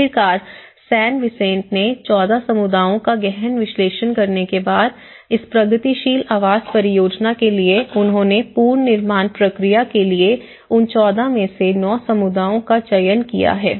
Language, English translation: Hindi, So finally, after having a thorough analysis of the 14 communities in San Vicente they have selected 9 communities within that 14, for the reconstruction process